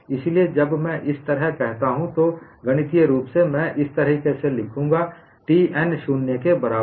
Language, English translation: Hindi, So, when I say like this, mathematically I would write it like this T n equal to 0